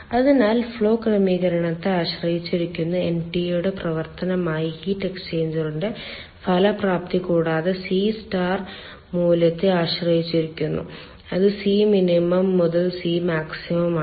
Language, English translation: Malayalam, so effectiveness of the heat exchanger, that is a function of ntu that is dependent on the flow arrangement and also dependent on the c star value, that is c minimum by c maximum